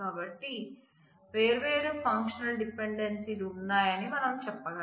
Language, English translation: Telugu, So, we can say that there are different functional dependencies